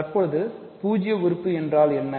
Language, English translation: Tamil, Because what is zero element